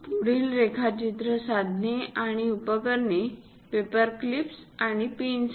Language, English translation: Marathi, The other drawing instruments and accessories are paper clips and pins